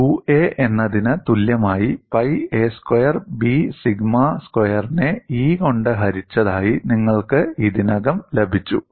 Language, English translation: Malayalam, You have already got that as U a equal to pi a squared B sigma squared divided by E